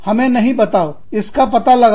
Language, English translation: Hindi, Do not tell us, figure it out